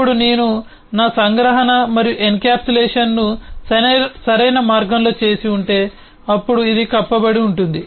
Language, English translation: Telugu, now, if i have done my abstraction and encapsulation in the right way, then this is encapsulated